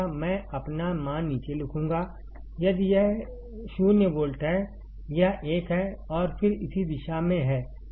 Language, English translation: Hindi, I will write down my value for if this is 0 volt, this is 1 and then so on in this direction